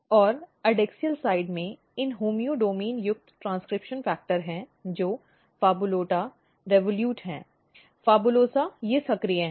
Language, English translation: Hindi, And in adaxial side what happens that these homeodomain containing transcription factor, which is PHABOLUTA, REVOLUTE, PHABOLUSA they are basically active in the adaxial surface